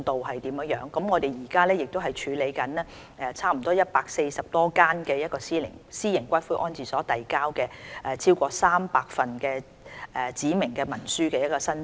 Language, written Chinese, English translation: Cantonese, 我們現正處理差不多140多間私營骨灰安置所遞交的超過300份指明文書申請。, We are now processing more than 300 applications for specified instruments from 140 or so private columbaria